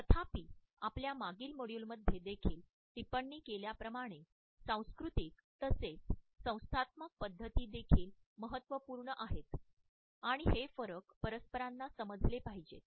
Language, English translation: Marathi, However, as we have commented in our previous module also, the cultural as well as institutional practices are significant and these differences should be understood by the interactants